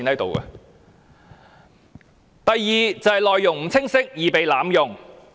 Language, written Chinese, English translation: Cantonese, 第二是內容不清晰，易被濫用。, Secondly the unclear contents may easily be abused